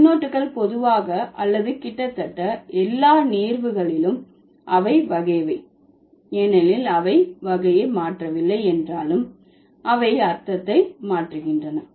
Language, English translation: Tamil, Remember, prefixes are generally or in almost all instances, these are derivational ones because the change, though they don't change the category, they change the meaning